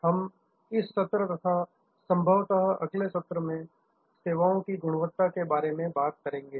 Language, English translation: Hindi, We are going to discuss in this session and possibly the next session, Services Quality, Service Quality